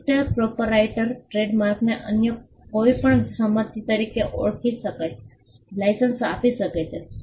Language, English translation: Gujarati, The registered proprietor may assign or license the trademark as any other property